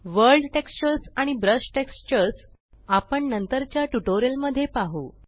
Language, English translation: Marathi, World textures and brush textures will be covered in later tutorials